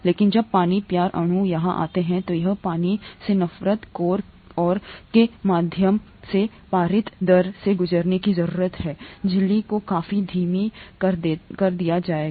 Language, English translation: Hindi, But when water loving molecule comes here it needs to pass through a water hating core and the rates of pass through the membrane would be slowed down significantly